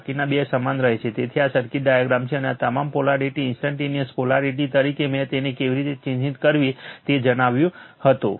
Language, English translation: Gujarati, Race 2 remains same, so this is the circuit diagram and all polarity as instantaneous polarity I told you how to mark it